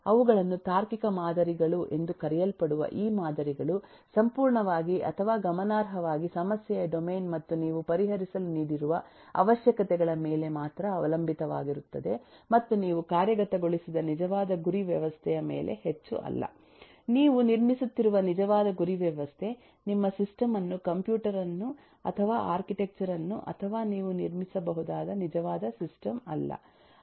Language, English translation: Kannada, the reason there could logical models is the fact that, eh, these models are completely or significantly dependent only on the problem domain and the requirements that you have given to solve, and not so much on the actual target system on which you implemented, actual target system that you built, neither the the computer or the architecture on which you are building the system, nor the actual system that you build